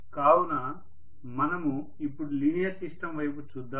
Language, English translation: Telugu, What do you mean by linear system here